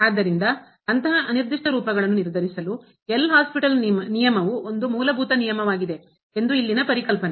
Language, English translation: Kannada, So, there is a concept here the L’Hospital’s rule a very fundamental rule for determining such a indeterminate forms